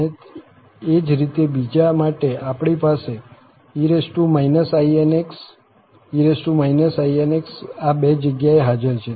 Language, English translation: Gujarati, And similarly, for the second one, so, we have e power inx, e power inx is present at these two places